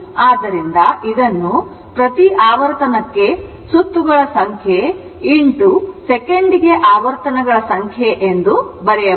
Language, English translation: Kannada, So, this can be written as number of cycles per revolution into number of revolution per second